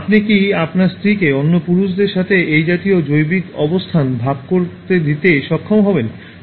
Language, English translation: Bengali, Will you be able to let your wife share this kind of biological space with other men